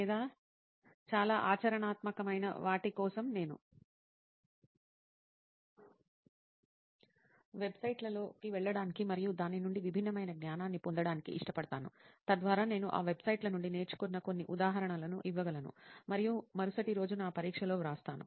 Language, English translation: Telugu, Or for something which is very practical, I prefer going on websites and getting different knowledge from it so that I could give some examples which I have learned from those websites and then put it on my exam the next day